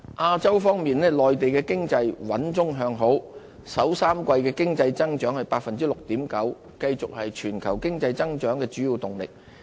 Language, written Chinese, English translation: Cantonese, 亞洲方面，內地經濟穩中向好，首3季經濟增長 6.9%， 繼續是全球經濟增長的主要動力。, In Asia the Mainland economy has sustained a sound and upward momentum with a growth of 6.9 % in the first three quarters . It keeps on providing a strong impetus for global economic growth